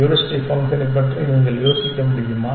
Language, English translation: Tamil, Can you think of any other heuristic function